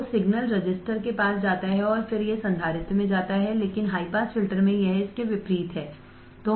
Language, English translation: Hindi, So, the signal goes to the resistor and then it goes to the capacitor, but in the high pass filter it is opposite of that